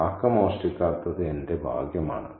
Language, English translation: Malayalam, I am lucky the crow didn't steal it